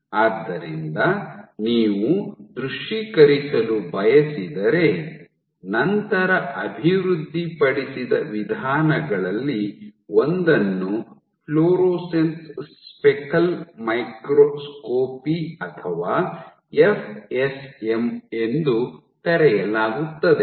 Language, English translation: Kannada, So, you want to visualize, so the approach one of the approaches developed is called fluorescence speckle microscopy or FSM